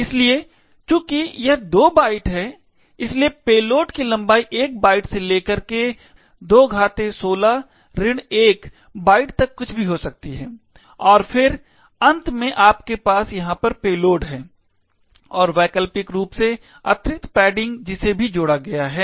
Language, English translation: Hindi, So, therefore since its 2 bytes so the payload be anything from 1 byte ranging to 2 power 16 minus 1 byte and then, finally you have a payload over here and optionally there is extra padding that is also added